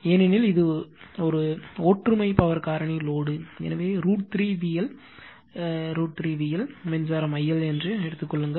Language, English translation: Tamil, Because, your it is unity power factor load, so root 3 V L, we know that general root 3 V L, the current we have taken I L dash